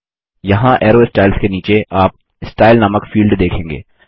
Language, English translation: Hindi, Here, under Arrow Styles you will see the field named Style